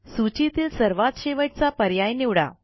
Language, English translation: Marathi, Click on the last item in the list